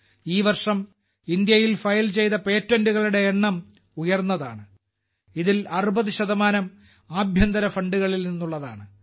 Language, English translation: Malayalam, This year, the number of patents filed in India was high, of which about 60% were from domestic funds